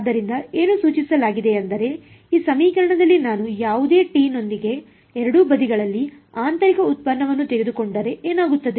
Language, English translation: Kannada, So, what is being suggested is that, in this equation what if I take a inner product on both sides with t any t ok